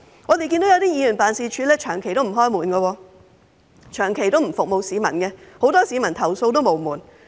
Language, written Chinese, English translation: Cantonese, 我們看見一些議員辦事處長期不辦公，長期不服務市民，很多市民投訴無門。, As we can see some DC members offices have been closed most of the time and do not serve members of the public